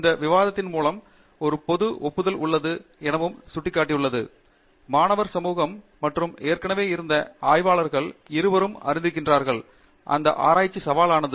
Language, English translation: Tamil, I think through this discussion also indicated that there is a general acknowledgment both in the student community and you know people who have already been researchers and so on that research is challenging